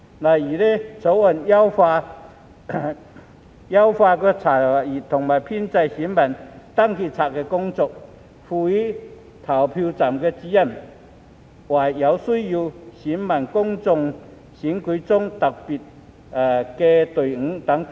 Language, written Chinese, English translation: Cantonese, 例如，《條例草案》優化了查閱和編製選民登記冊的工作，賦權投票站主任為有需要的選民在公共選舉中設特別隊伍等。, For example the Bill enhances the inspection and compilation of the registers of electors and empowers the Presiding Officers to set up special teams for electors in need in public elections